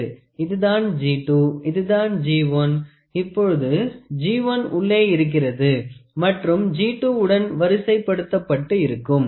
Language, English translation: Tamil, So, G 2, G 1 now G 1 is inside and G 2 both are aligned